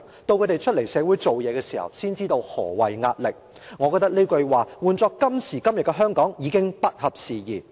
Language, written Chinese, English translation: Cantonese, 到他們出來社會工作時，才知道何謂壓力'，我覺得這句話換作今時今日的香港已不合時宜。, When they work in society they will know what is meant by pressure . I find such comments not fitting in with the situation of Hong Kong today